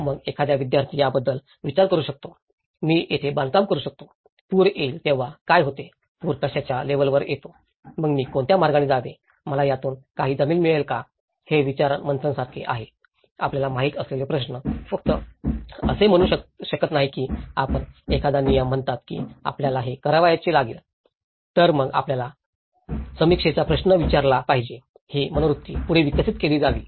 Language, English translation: Marathi, Then a student can start thinking about, can I construct here, what happens when a flood comes, what happens to what level the flood comes, then what way should I move, do I get any land from this so, these are like the brainstorming questions you know so, it is not just only letís say you say a rule says you have to do this, then you have to critically question it, this attitude has to be developed further